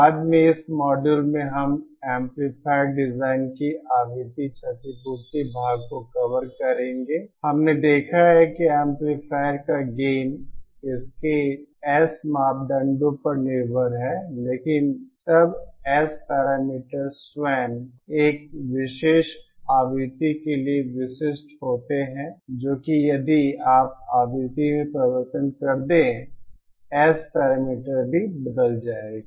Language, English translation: Hindi, Later in this module we will be covering the frequency compensation part of amplifier design that is, we saw that the gain of an amplifier is dependent on its S parameters, but then S parameters themselves are specific for a particular frequency that is, if you change the frequency, the S parameters also will change